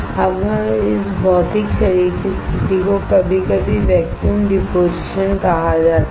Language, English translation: Hindi, Now this physical body position are sometimes called vacuum deposition